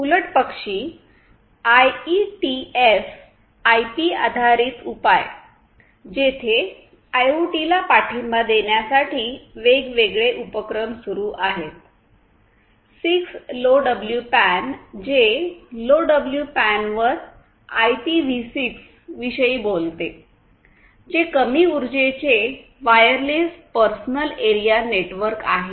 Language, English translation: Marathi, On the contrary, we have IETF IP based solutions; where there are different different initiatives to support IoT like; the 6LoWPAN; which talks about IPv6 over LoWPAN which is low power wireless personal area network